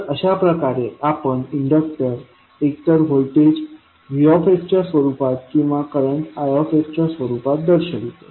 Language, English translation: Marathi, So, in this way we can represent the inductor either for in the form of voltage vs or in the form of current i s